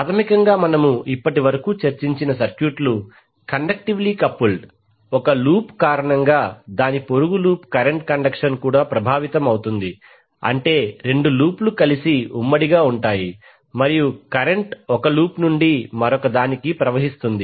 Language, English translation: Telugu, So basically the circuits which we have discussed till now were conductively coupled that means that because of one loop the neighbourhood loop was getting affected through current conduction that means that both of the lops were joint together and current was flowing from one loop to other